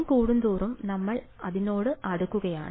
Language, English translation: Malayalam, As we increase n we are approaching that